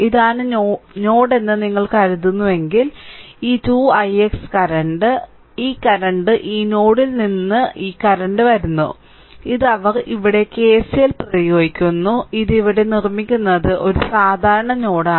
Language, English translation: Malayalam, Therefore, if you think that this is the node, then this 2 i x current; this current, this current is coming out from this node; this they applying KCL here that I making it here, it is a common node right